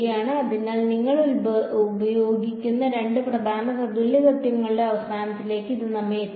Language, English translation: Malayalam, So, this sort of brings us to an end of the two main equivalence principles that we use